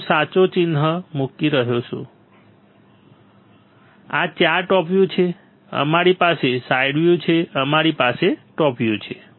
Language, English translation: Gujarati, I am putting right mark this 4 are top view we have side view we had top view